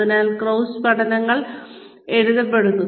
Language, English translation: Malayalam, So, case studies are written